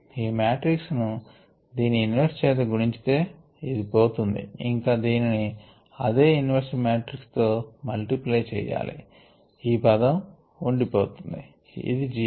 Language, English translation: Telugu, so if we pre multiply this matrix, were this inverse, this will drop out, and pre multiple this with this same inverse matrix, this termremain, and anyway this is zero